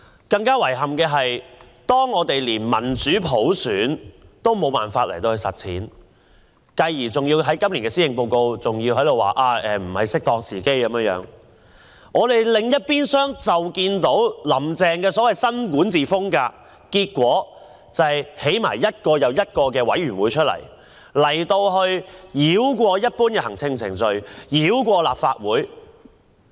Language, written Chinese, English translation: Cantonese, 更遺憾的是，我們一方面無法實踐民主普選，今年的施政報告指仍未是適當時機重啟政改，但另一方面，"林鄭"所謂的新管治風格是成立一個又一個委員會，繞過一般的行政程序，繞過立法會。, To our great regret on the one hand we cannot implement democratic universal suffrage because as pointed out in this years Policy Address it is not an opportune time to reactivate constitutional reform; and on the other hand the so - called new governance of Carrie LAM merely involves the setting up of one committee after another circumventing the general administrative procedures and the Legislative Council